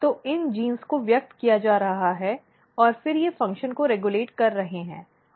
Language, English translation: Hindi, So, the these genes are getting expressed and then they are regulating the function